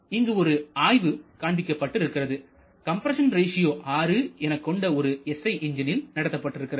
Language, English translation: Tamil, One case study is shown here this is for an engine with a compression ratio of 6, SI engine having a compression ratio of 6